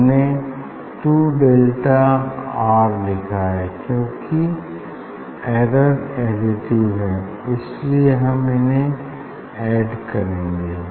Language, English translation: Hindi, we have written 2 delta R similarly plus since error are additive; that is why we have to add them